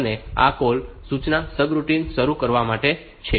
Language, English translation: Gujarati, And this call instruction is for starting a subroutine